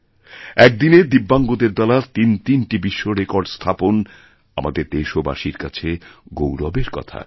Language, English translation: Bengali, Three world records in a single day by DIVYANG people is a matter of great pride for our countrymen